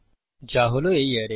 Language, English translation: Bengali, That will be the array